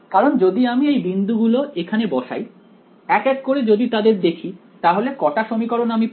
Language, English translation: Bengali, Why because if I put these points in over here one by one if I go through them how many equations will I get